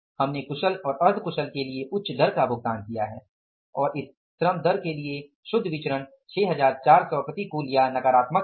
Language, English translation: Hindi, We have paid the higher rate of the labor for skilled and semi skilled and the net variance for this labor rate is 6,400 adverse or negative